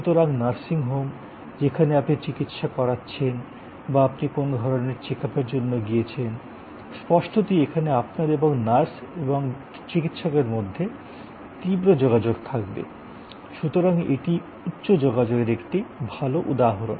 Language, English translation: Bengali, So, nursing home, where you are getting treated or you have gone for some kind of check up; obviously, means that between you and the nurse and the doctor, there will be intense engagement, so this is high contact, a good example